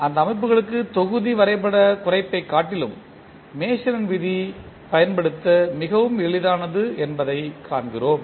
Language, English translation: Tamil, And for those kind of systems we find that the Mason’s rule is very easy to use than the block diagram reduction